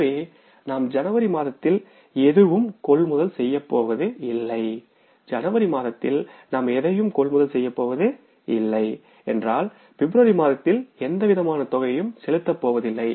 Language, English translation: Tamil, So we are not going to purchase anything in the month of January and when you are not going to purchase anything in the month of January you are not going to pay for any kind of purchases in the month of February